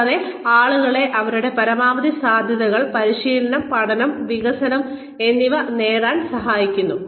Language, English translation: Malayalam, And, helping people achieve their, maximum potential, training, and learning, and development